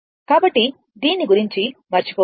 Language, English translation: Telugu, So, forget about this